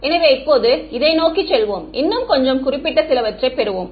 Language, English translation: Tamil, So, now let us go to towards this let us get a little bit more specific ok